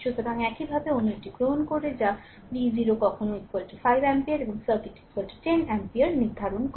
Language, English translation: Bengali, So, similarly another one you take that determine v 0 when i is equal to 5 ampere and i is equal to 10 ampere of the circuit